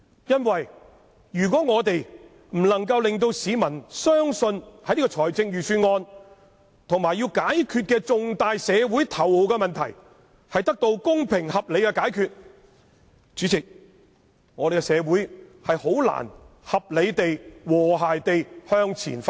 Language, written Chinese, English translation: Cantonese, 如果我們不能令市民相信預算案能夠令現時重大社會頭號問題得到公平合理的解決，主席，這樣香港社會便難以合理地、和諧地向前發展。, I am going to stop . If we cannot convince the public that the Budget can provide a fair reasonable solution to this major most imminent issue in society now Chairman it would be difficult for Hong Kong society to achieve reasonable and harmonious development